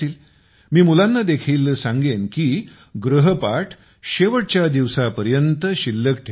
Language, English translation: Marathi, I would also tell the children not to keep their homework pending for the last day